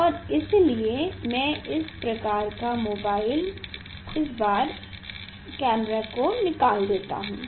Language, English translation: Hindi, And so, this type of I will remove this mobile camera